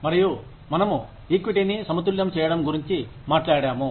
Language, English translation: Telugu, And, we talked about, balancing equity